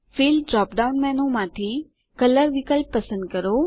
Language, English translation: Gujarati, From the Fill drop down menu, select the option Color